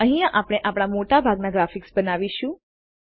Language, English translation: Gujarati, This is where we create most of our graphics